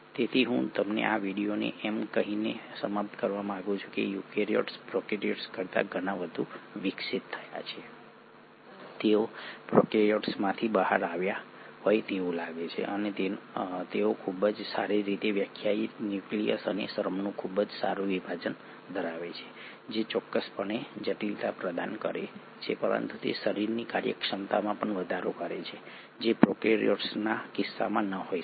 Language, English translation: Gujarati, So I would like to end this video by saying, eukaryotes have been far more evolved than the prokaryotes, they seem to have come out of prokaryotes and they seem to have a very well defined nucleus and a very good division of labour, which provides complexity for sure, but it also enhances the efficiency of the organism which may not have been in case of prokaryotes